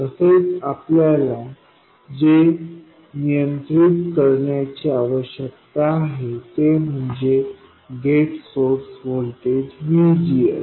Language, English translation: Marathi, Also, what we need to control is the gate source voltage, VGS